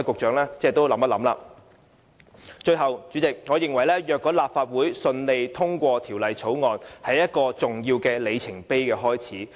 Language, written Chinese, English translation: Cantonese, 主席，最後，我認為如果立法會順利通過《條例草案》，會是一個重要的里程碑。, President lastly if the Bill is successfully passed I think it will be an important milestone